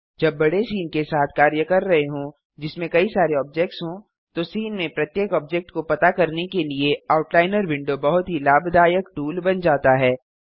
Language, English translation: Hindi, While working with a large scene, having multiple objects, the Outliner window becomes a very useful tool in keeping track of each object in the scene